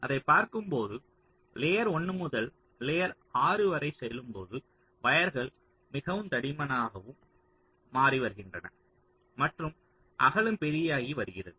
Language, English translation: Tamil, so as you see that, as you are moving from layer one up to layer six, sorry, so the wires are becoming thicker and thicker, the width is becoming larger